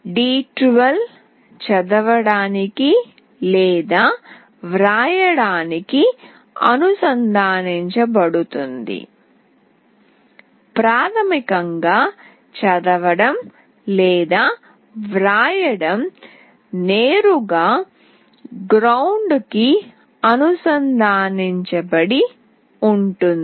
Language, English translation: Telugu, d12 will be connected to read/write; basically read/write is directly connected to ground